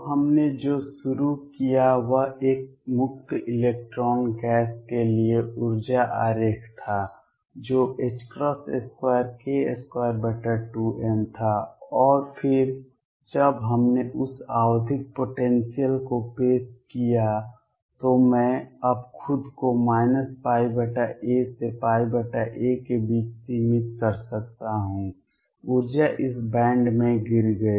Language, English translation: Hindi, So, what we started with was the energy diagram for a free electron gas which was h cross square k square over 2 m, and then when we introduced that periodic potential I can now confine myself between minus pi by a to pi by a, the energy fell into this band